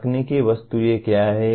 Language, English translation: Hindi, What are the technical objects